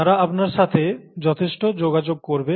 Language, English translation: Bengali, They will interact heavily with you